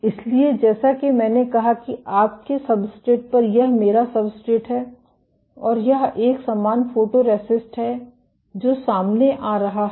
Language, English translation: Hindi, So, as I said that onto your substrate this is my substrate and this is the uniform photoresist which is being exposed